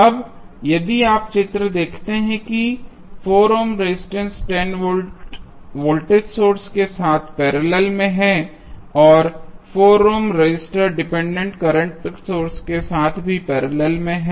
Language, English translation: Hindi, Now, if you see the figure that 4 ohm resistor is in parallel with 10 volt voltage source and 4 ohm resistor is also parallel with dependent current source